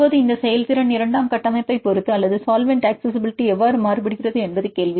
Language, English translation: Tamil, Now, the question is how these performance varies with respect to secondary structure or with respect to solvent accessibility